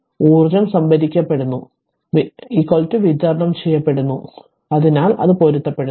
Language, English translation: Malayalam, So, energy stored is equal to energy delivered so it is there matching right